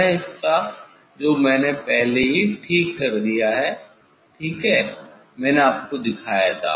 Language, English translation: Hindi, that part already I have done ok, I have showed you